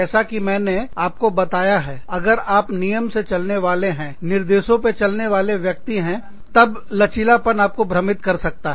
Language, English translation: Hindi, Like i told you, if you are a very rule driven, instruction driven, person, then flexibility could confuse you